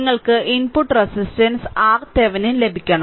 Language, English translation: Malayalam, And you have to get that input resistance R Thevenin, right